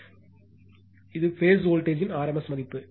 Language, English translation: Tamil, So, it is rms value of the phase voltage